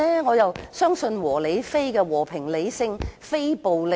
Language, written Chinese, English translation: Cantonese, 我相信"和理非"，即和平、理性及非暴力。, I believe that we should be peaceful rational and non - violent